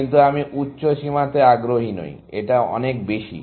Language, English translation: Bengali, But I am not interested in higher bounds, so much